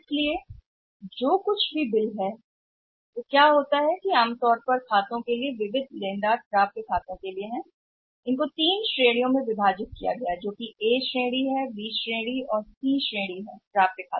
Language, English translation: Hindi, So, whatever the bills are there; so, what happens that normally there are the total sundry credited for accounts receivables I would call it as, they are divided into three categories that is A category, B category and C category of the accounts receivables right